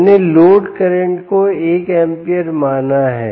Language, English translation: Hindi, i have assumed the load current to be one amp